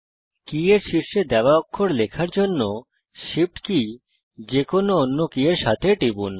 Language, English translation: Bengali, Press the Shift key with any other key to type a character given at the top of the key